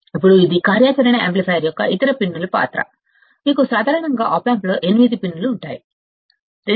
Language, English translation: Telugu, Now, this is the role of the other pins of the operational amplifier, you know that commonly 8 pins in an op amp